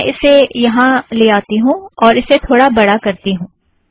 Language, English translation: Hindi, Let me also make it slightly bigger